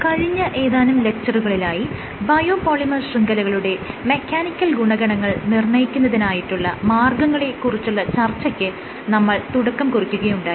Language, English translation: Malayalam, So, over the last 2 lectures we started having some discussion on how to go about quantifying the mechanical properties of biopolymer networks